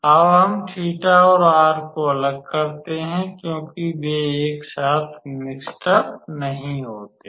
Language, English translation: Hindi, So, now we separate theta and r because they are not mixed up together